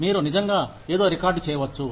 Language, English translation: Telugu, You can actually record something